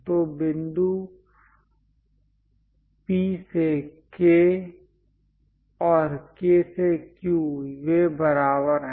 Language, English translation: Hindi, So, P point to K and K to Q; they are equal